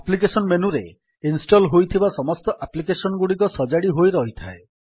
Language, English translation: Odia, The application menu contains all the installed applications in a categorized manner